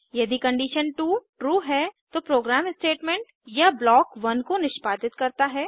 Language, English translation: Hindi, If condition 2 is true, then the program executes Statement or block 1